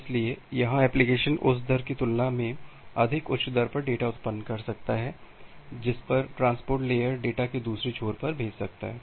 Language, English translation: Hindi, So, here the application can generate data at a more high higher rate compare to the rate at which the transport layer can send the data to the other end